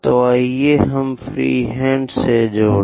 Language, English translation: Hindi, So, let us join freehand sketch